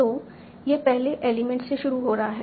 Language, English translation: Hindi, So starting from the first element